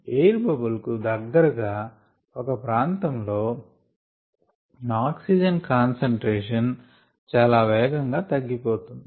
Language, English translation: Telugu, then there is a region very close to the air bubble where the concentration of oxygen decreases quite drastically